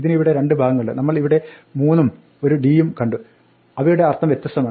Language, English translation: Malayalam, This has two parts here, we see a 3 and a d and they mean different things